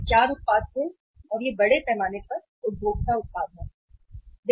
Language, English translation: Hindi, These were the 4 products and these are largely consumer products